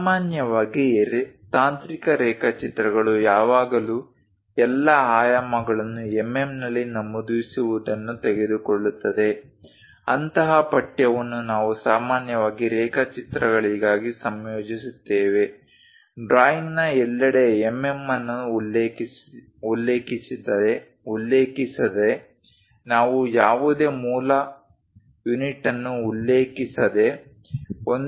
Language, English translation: Kannada, Usually, technical drawings always consist of it takes mentioning all dimensions are in mm, such kind of text we usually incorporate for drawings without ah mentioning mm everywhere of the drawing, we just represent the numbers like 1